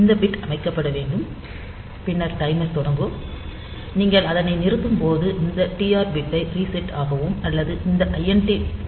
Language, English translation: Tamil, So, this bit should be set, and then the timer will start and when you were to stop it, either you can reset this TR bit or you can disable this INT